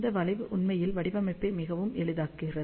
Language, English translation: Tamil, And this curve actually makes the design very very simple